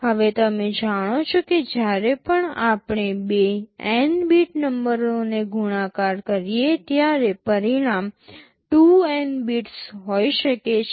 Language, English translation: Gujarati, Now, you know whenever we multiply two n bit numbers the result can be 2n bits